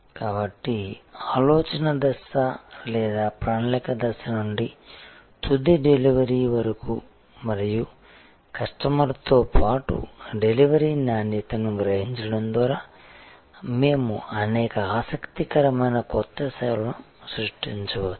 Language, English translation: Telugu, So, right from the idea stage or planning stage to the final delivery and sensing the quality of delivery along with the customer, we can create many interesting new services